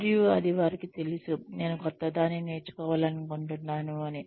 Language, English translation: Telugu, And, how do they know that, I want to learn something new